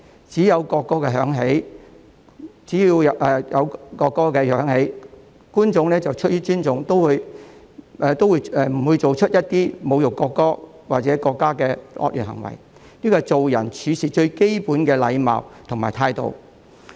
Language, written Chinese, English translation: Cantonese, 只要國歌響起，觀眾出於尊重，不會做出一些侮辱國歌或國家的惡劣行為，這是做人處事最基本的禮貌和態度。, Whenever a national anthem is played the audience will not perform any evil acts of insulting a national anthem or a country out of respect . This is the most basic manner and attitude when dealing with people or doing things